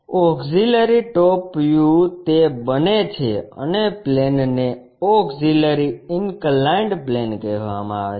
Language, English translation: Gujarati, Auxiliary top view it becomes and the plane is called auxiliary inclined plane